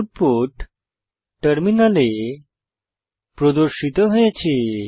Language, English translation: Bengali, The output is as displayed on the terminal